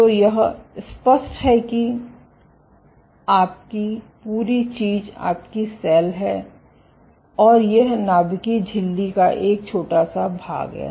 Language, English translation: Hindi, So, this is your entire thing is your cell and this is just a short section of the nuclear membrane ok